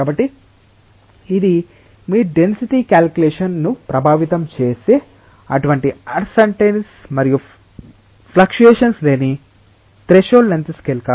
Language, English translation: Telugu, So, it is a threshold length scale beyond which you are not having such uncertainties and fluctuations affecting your density calculation